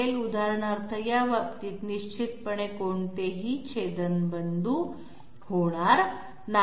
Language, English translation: Marathi, For example, these cases definitely there will not be any intersection